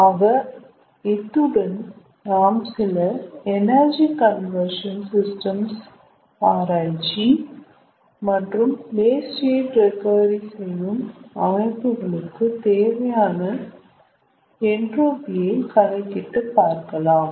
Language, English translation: Tamil, so with this we will be able to calculate the entropy which will be needed again for some analysis of energy conversion systems and systems for waste heat recovery